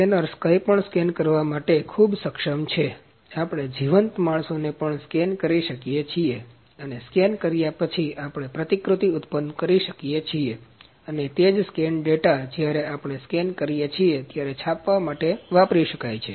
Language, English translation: Gujarati, So, scanners are highly capable to scan anything, even we can scan the live humans and after scanning, we can produce the replica and the same scan data can be used for printing when we scan